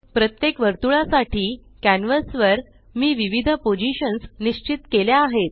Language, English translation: Marathi, For each circle, I have specified different positions on the canvas